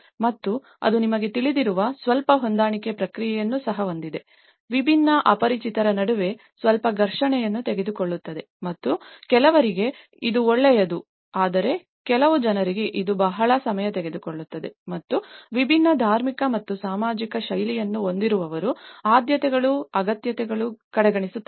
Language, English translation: Kannada, And that also have a little adjustment process you know, that takes some friction between different strangers and for some people it is good but for some people it takes a long time and who have a different religious and lifestyles, it also disregards the preferences and needs and priorities of the affected communities because they are not consulted in the project planning process